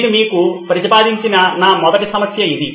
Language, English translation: Telugu, This is my first problem that I proposed to you